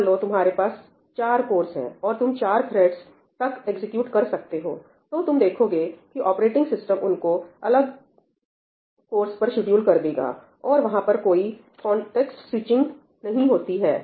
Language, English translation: Hindi, Let us say, you have four cores and you are executing up to 4 threads; you will see that the operating system will just schedule them on separate cores and there is no context switching that happens